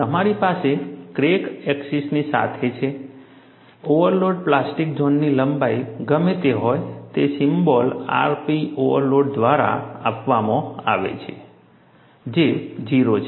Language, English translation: Gujarati, You have along the crack axis, whatever is the length of the overload plastic zone is given by the symbol r p overload, that is o